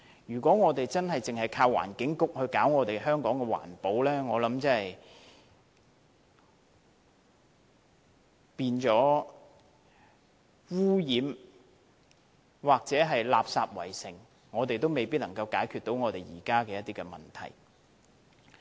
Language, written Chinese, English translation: Cantonese, 如果只靠環境局搞好香港的環保，我想即使香港變得污染或垃圾圍城，我們仍未能解決現時的問題。, If we rely solely on the Environment Bureau to do the environmental work the current problems will not be solved even if Hong Kong becomes highly polluted or is littered with rubbish